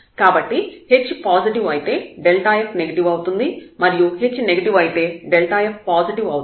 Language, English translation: Telugu, So, if h is positive with the delta f is negative h is negative then delta f is positive